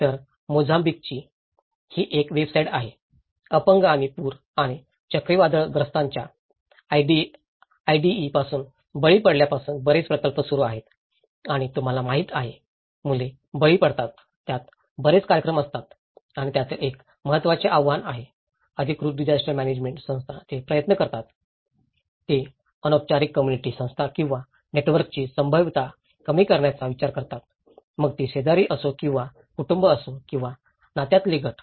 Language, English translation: Marathi, So, this is a kind of website of Mozambique, there is a lot of projects on starting from disability and victims of floods and cyclones Idai and you know, that children victims, there are lot of programs within it and one of the important challenge is official disaster management organizations they try; they tend to undervalue the potential of informal social organization or network, whether it is a neighbourhood or families or kinship groups